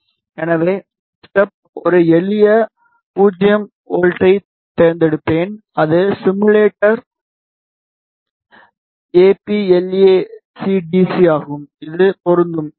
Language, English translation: Tamil, So, we will just choose a simple 0 volt for the step and the simulator is APLAC DC and it apply, ok